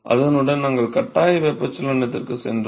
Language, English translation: Tamil, With that we moved on to forced convection